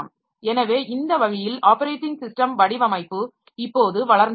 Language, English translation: Tamil, So, that is a way this operating system design is now growing